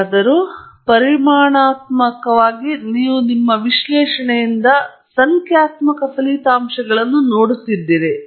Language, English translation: Kannada, Whereas, in quantitative you are being… you are looking at numerical results from your analysis